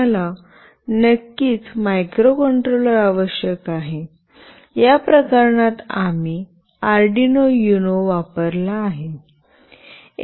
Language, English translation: Marathi, We of course require a microcontroller; in this case we have used the Arduino UNO